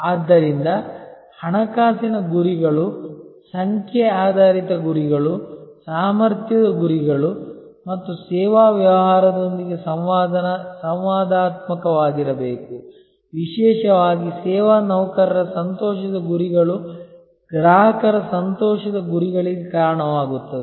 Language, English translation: Kannada, So, financial goals, number oriented goals must be interactive with competence goals people and service business particularly the service employee happiness goals which will combine to lead to customer delight goals